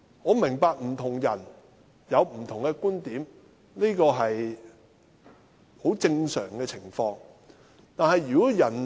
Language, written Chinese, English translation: Cantonese, 我明白不同人有不同觀點，這是很正常的。, I understand different people have different viewpoints . This is pretty normal